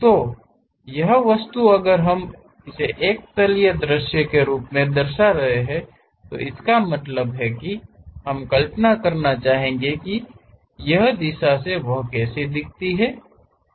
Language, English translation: Hindi, So, this object if we would like to represent as a planar view; that means, we would like to really visualize it from that direction how it looks like